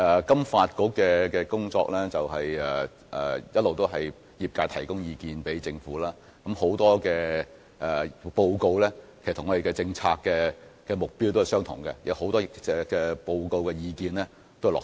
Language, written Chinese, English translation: Cantonese, 金發局一直負責收集業界的意見，並向政府反映，其報告與我們的政策目標一致，很多在報告中提出的建議亦已經落實。, It has been FSDCs duty to collect the industry views and relay them to the Government . Its reports share the same objectives with our policies and many recommendations in the reports have been implemented